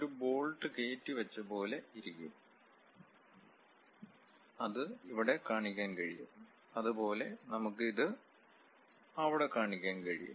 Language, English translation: Malayalam, And we have something like a bolt insertion kind of position, that we can represent it here; similarly, this one we can represent it there